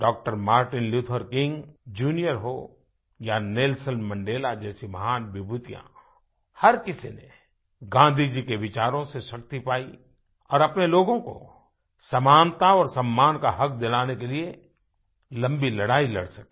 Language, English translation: Hindi, Martin Luther King and Nelson Mandela derived strength from Gandhiji's ideology to be able to fight a long battle to ensure right of equality and dignity for the people